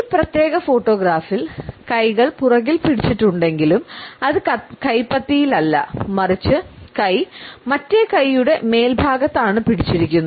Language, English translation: Malayalam, In this particular photograph, we find that though the hands are held behind the back still it is not a palm to palm grip rather the hand is holding the arm